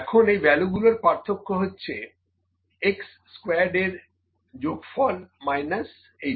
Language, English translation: Bengali, Now, difference of these values summation of x squared minus this